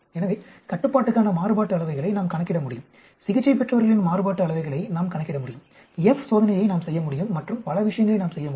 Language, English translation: Tamil, So, we can calculate variances for the control, we can calculate variances for the treated, we can perform F test and so many things we can do